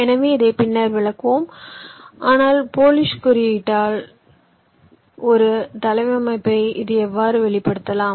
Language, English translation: Tamil, so this we shall again explain later, but this is how we can express a layout in the polish notation right now